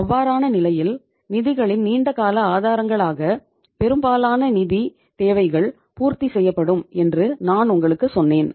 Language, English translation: Tamil, In that case I told you most of the financial requirements will be fulfilled form the long term sources of the funds